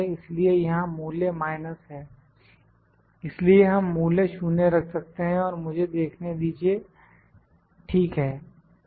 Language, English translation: Hindi, So, the value is minus here, so we can put the value 0 let me see, ok